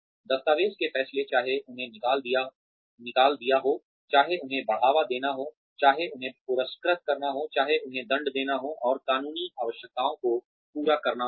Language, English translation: Hindi, Document decisions, whether to fire them, whether to promote them, whether to reward them, whether to punish them, and meeting legal requirements, of course